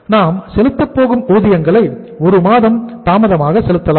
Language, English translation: Tamil, Wages we are going to pay at the lag of 1 month